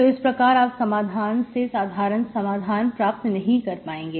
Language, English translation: Hindi, So cannot get the solution out of this general solution, okay